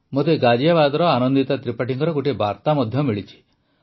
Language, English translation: Odia, I have also received a message from Anandita Tripathi from Ghaziabad